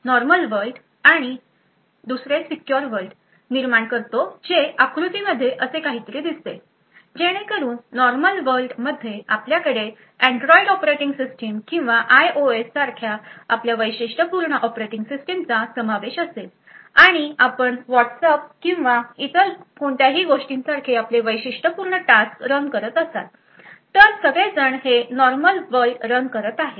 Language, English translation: Marathi, It creates a normal world and a secure world so the figure looks something like this so in the normal world is where you would have your typical operating system like your Android operating system or IOS and you would be running your typical tasks like your Whatsapp or anything else so all of them run in this normal world